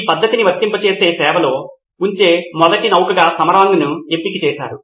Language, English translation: Telugu, Samarang was chosen as the first vessel where he would apply this technique and put it in service